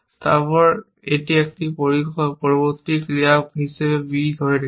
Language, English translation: Bengali, Then, it has got holding b as a next action